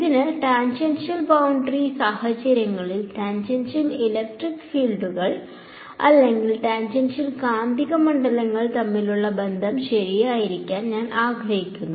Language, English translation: Malayalam, So, in tangential boundary conditions, I want to get a relation between the tangential electric fields or tangential magnetic fields as the case may be right